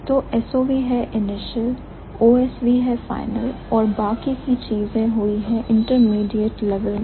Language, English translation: Hindi, So, SOV is the initial, OSV is the final, the rest of the things have happened in the intermediate level